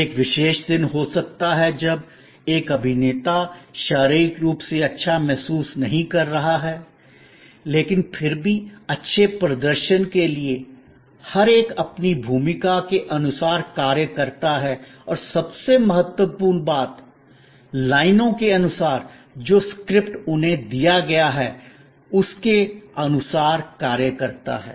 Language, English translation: Hindi, May be on a particular day, one actor is not feeling to well physically, but yet for the sake of the play and for the sake of good performance, every one acts according to their role and most importantly, according to the lines, the script given to them